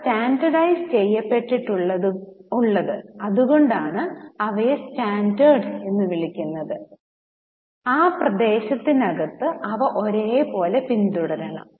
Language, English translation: Malayalam, And they are standardized, that's why they are called standard and they should be uniformly followed within that territory, maybe that country or that region or so on